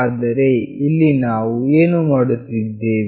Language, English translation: Kannada, But here what we are doing